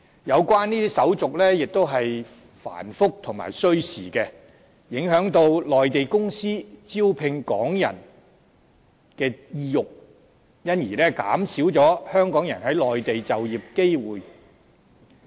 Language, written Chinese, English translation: Cantonese, 有關手續亦十分繁複和需時，影響內地公司招聘港人的意欲，因而減少香港人在內地就業的機會。, Since the procedures concerned are very complicated and time - consuming the Mainland companies desire of hiring Hong Kong people is affected thus reducing Hong Kong peoples opportunities of working in the Mainland